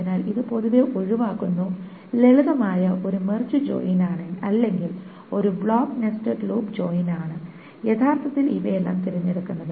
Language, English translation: Malayalam, So this is generally avoided and simply a mart join or a block nested loop join is actually the one that is preferred by all of these things because it is the most generic